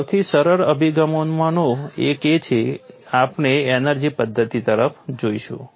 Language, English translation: Gujarati, One of the simplest approach is we will go to the energy method